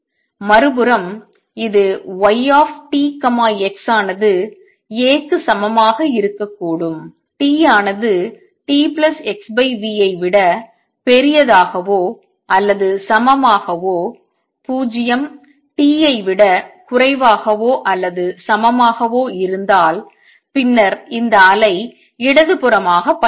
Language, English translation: Tamil, On the other hand it could also be that y t x is equal to A for t greater than equal to t plus x over v greater than equal to 0 less then equal to t and 0 otherwise then this wave would be traveling to the left